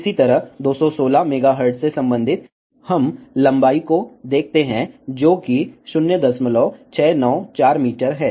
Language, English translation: Hindi, Similarly, corresponding to 216 megahertz, we find the length L n, which comes out to be 0